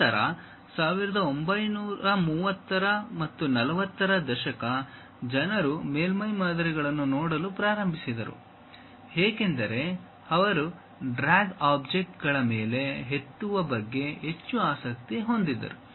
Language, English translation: Kannada, Then around 1930's, 40's people started looking at something named surface models, because they are more interested about knowing drag, lift on the objects